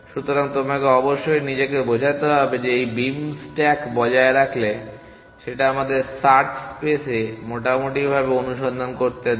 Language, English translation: Bengali, So, you must convince yourself that maintaining this beam stack allows us to search completely in the search space